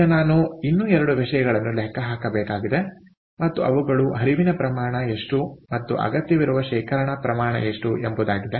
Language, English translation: Kannada, now i have to calculate two more things, and those are: what is the flow rate and what is the storage volume that would be required